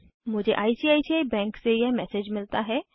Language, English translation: Hindi, I get the following messsage from ICICI bank